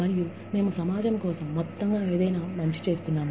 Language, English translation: Telugu, And, we are doing something good, for the community, as a whole